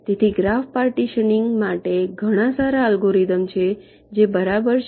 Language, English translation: Gujarati, so there are many good algorithms for graph partitioning which exists, right